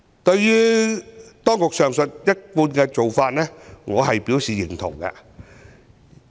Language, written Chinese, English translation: Cantonese, 對於當局上述一貫的做法，我表示贊同。, I endorse the above longstanding practices of the authorities